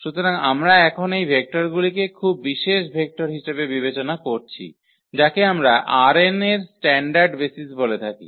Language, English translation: Bengali, So, we consider these vectors now very special vector which we call the standard basis of R n